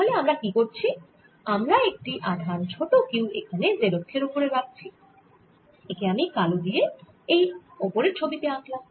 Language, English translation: Bengali, so what we are doing is we are putting a charge, small q, here on the z axis shown by black on the top figure